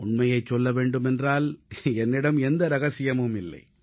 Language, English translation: Tamil, To tell you the truth, I have no such secret